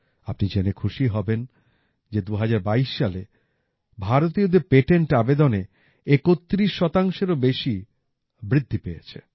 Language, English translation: Bengali, You will be pleased to know that there has been an increase of more than 31 percent in patent applications by Indians in 2022